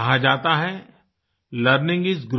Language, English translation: Hindi, It is said that learning is growing